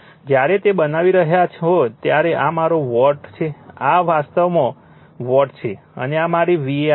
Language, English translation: Gujarati, When we are, you are making it, this is my watt, this is actually watt right, and this is my var right